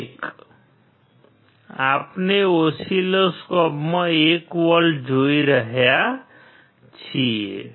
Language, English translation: Gujarati, That is what we see 1 volt in the oscilloscope